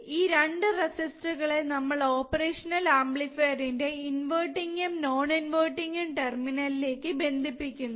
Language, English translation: Malayalam, yes so, these 2 resistors are the resistors connected to inverting and non inverting terminal of the operational amplifier, correct